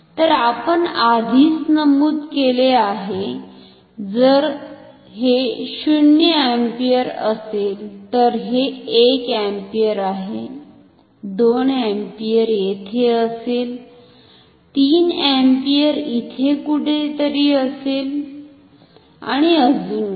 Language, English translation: Marathi, So, we already have mentioned, if this is 0 ampere this is 1 ampere, 2 ampere will be further here, 3 ampere will be quite far somewhere here and so on